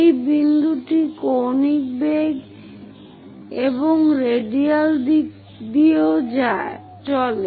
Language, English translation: Bengali, This point moves with the angular velocity and also radial direction